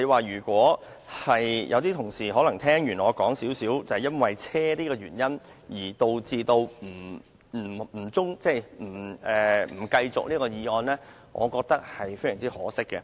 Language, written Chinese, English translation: Cantonese, 如果有些同事因聽完我講述有關汽車的原因而想中止處理這項決議案的程序，我認為十分可惜。, If some colleagues after listening to my remarks about vehicles wish to adjourn the legislative process of the resolution I would find this regrettable